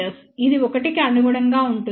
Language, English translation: Telugu, In reality, it is not equal to 0